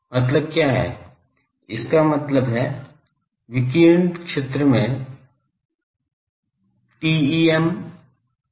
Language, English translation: Hindi, What is the meaning; that means, in the radiation zone the fields are TEM waves